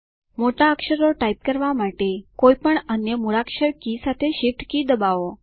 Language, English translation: Gujarati, Press the shift key together with any other alphabet key to type capital letters